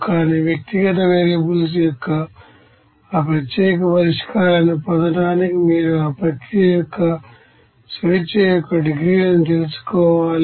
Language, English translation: Telugu, But to get that unique solution of individual variables you have to know the degrees of freedom of that you know process